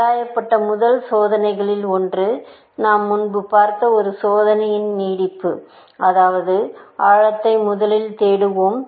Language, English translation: Tamil, One of the first ideas that was explored, is an extension of an idea that we have seen earlier, which is; let us do depth first search